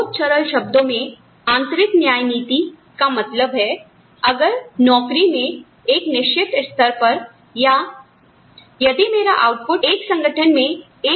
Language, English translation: Hindi, Internal equity, in very simple terms, means that, if at a certain level of, in the job, or, if my output is, say A, in one organization